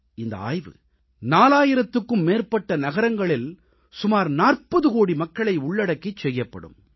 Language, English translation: Tamil, This survey will cover a population of more than 40 crores in more than four thousand cities